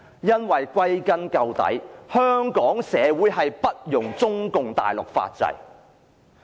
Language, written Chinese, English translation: Cantonese, 因為歸根究底，香港社會不容中共大陸法制。, The reason is that in gist the legal system of communist China is unacceptable to Hong Kong society